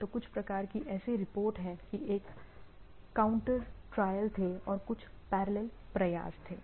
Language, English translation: Hindi, So, some sort of a, there are there are reports that there is a some counter or some parallel efforts was there